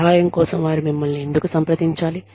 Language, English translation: Telugu, Why should they approach you, for help